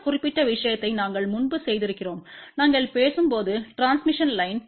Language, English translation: Tamil, This particular thing we have done earlier also, when we were talking about transmission line